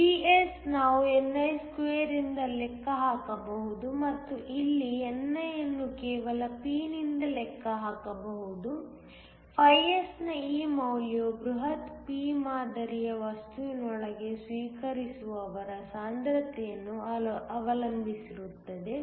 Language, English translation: Kannada, PS We can just calculate fromni2 and the same way here ni can calculate from just P, this value of S depends upon the concentration of acceptors within the bulk p type material